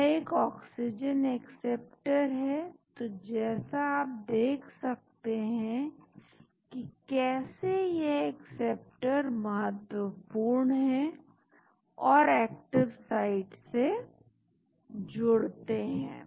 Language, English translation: Hindi, There is an oxygen acceptor so as you can see the importance of these acceptors and binding to the active site